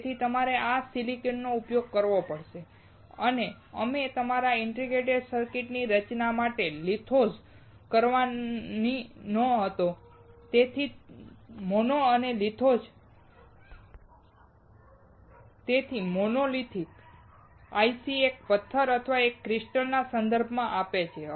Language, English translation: Gujarati, So, we have to use this silicon and we had to do lithography to form your integrated circuit that is why mono and lithos; So, the monolithic ICs refer to a single stone or a single crystal